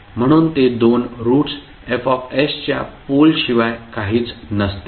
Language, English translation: Marathi, So those two roots will be nothing but the poles of F s